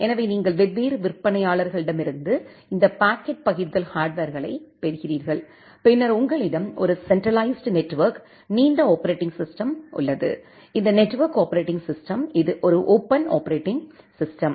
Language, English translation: Tamil, So, you are getting this packet forwarding hardwares from different vendors and then you have a central network wide operating system, this network operating system, which is a open operating system